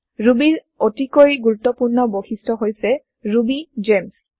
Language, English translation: Assamese, One of the most important feature of Ruby is RubyGems